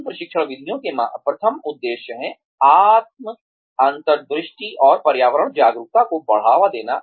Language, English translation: Hindi, The objectives of these training methods are, first is promoting, self insight and environmental awareness